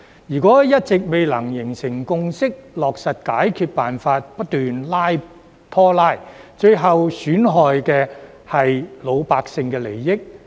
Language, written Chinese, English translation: Cantonese, 如果一直未能形成共識，落實解決辦法，不斷拖拉，最後損害的是老百姓的利益。, If there is no consensus to implement a solution and if we keep dragging our feet the interests of the people will be harmed in the end